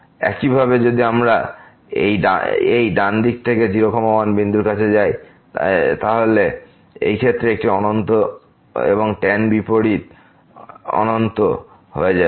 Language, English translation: Bengali, Similarly, if we approach this point from the right side of this point, then in this case this will become infinity and the tan inverse infinity